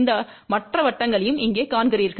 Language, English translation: Tamil, You see also these other circles here